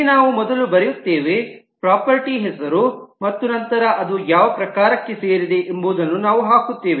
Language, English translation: Kannada, Here we first write the property name and then we put the type of which it belongs